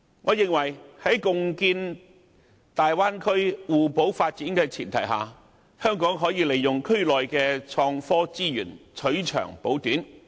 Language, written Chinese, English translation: Cantonese, 我認為在共建大灣區互補發展的前提下，香港可以利用區內的創科資源，取長補短。, On the premise of complementary development of the Bay Area under a cooperation plan Hong Kong can make use of innovation and technology resources in the Bay Area to complement its strengths and compensate its weaknesses